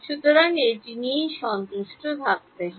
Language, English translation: Bengali, So, this has to be satisfied